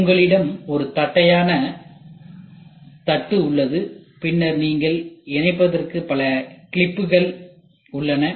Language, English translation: Tamil, So, you had a flat plate then you have so many clips to fasten